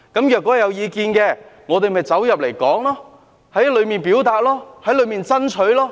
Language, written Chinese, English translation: Cantonese, 如果有意見，我們便在小組委員會討論、表達及爭取。, If there are any suggestions we can conduct discussions express our views and requests